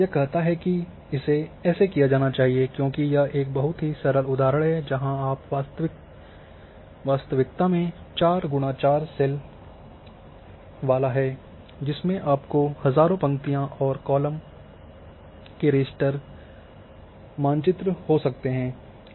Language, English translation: Hindi, This say this should be done because this is a very simple example where you are having this 4 by 4 cells in real one you might having thousands of rows and columns raster map